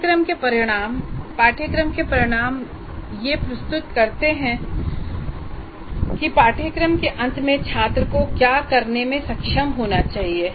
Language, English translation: Hindi, Course outcomes present what the student should be able to do at the end of the course